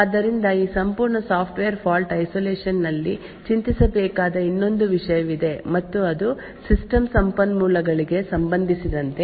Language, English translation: Kannada, So there is another thing to a worry about in this entire Software Fault Isolation and that is with respect to system resources